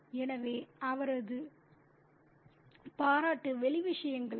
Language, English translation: Tamil, So, his appreciation is for the outer things